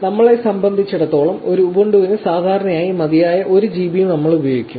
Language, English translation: Malayalam, For us, we will be using 1 GB that is usually sufficient for an ubuntu